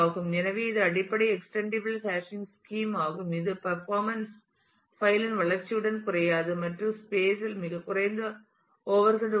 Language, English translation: Tamil, So, this is the basic extendable hashing scheme it has in this the performance does not degrade with the growth of the file and there is very minimal overhead of the space